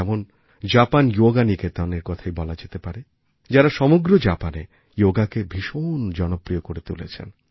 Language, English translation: Bengali, For example, take 'Japan Yoga Niketan', which has made Yoga popular throughout Japan